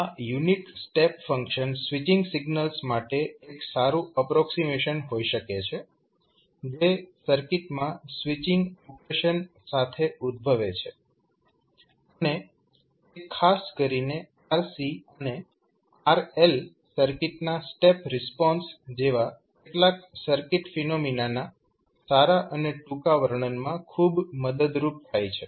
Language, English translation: Gujarati, Now, these basically the unit step serves as a good approximation to the switching signals that arise in the circuit with the switching operations and it is very helpful in the neat and compact description of some circuit phenomena especially the step response of rc and rl circuit